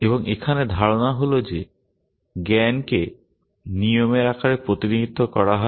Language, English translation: Bengali, And the idea here is that knowledge is represented in the form of rules